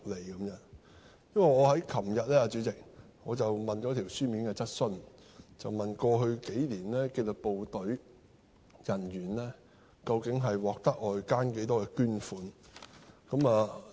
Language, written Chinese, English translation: Cantonese, 主席，這是因為我在昨天提出書面質詢，問及過去數年紀律部隊人員究竟獲得外間多少捐款。, Chairman my worry comes after I raised a written question yesterday on the amount of donations raised from outside sources for disciplined services staff members over the past few years